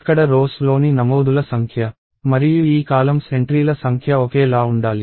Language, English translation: Telugu, So, the number of entries in the rows here and the number of entries in this column here should be the same